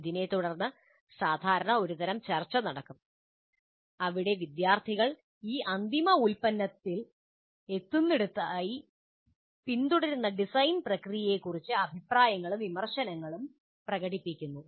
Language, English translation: Malayalam, And this will be usually followed by some kind of a discussion where the students express their comments and opinions about the design process followed to arrive at this final product